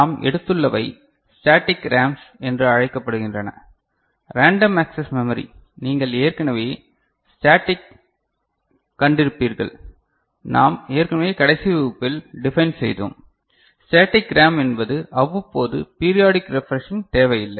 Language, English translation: Tamil, And what we have taken up is called static RAMs, Random Access Memory you have already seen static we have already defined in the last class that static RAM is the one where the periodic refreshing is not required